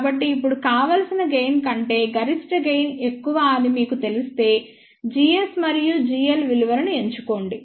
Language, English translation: Telugu, So, now, for desired gain once you know that maximum gain is more than the desired gain, choose the value of g s and g l